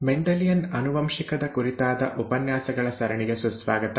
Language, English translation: Kannada, Welcome to the set of lectures on Mendelian Genetics